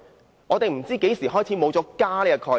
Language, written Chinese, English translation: Cantonese, 各位，我們不知何時開始已沒有"家"的概念。, Honourable Members I am not sure since when have we lost the idea of a family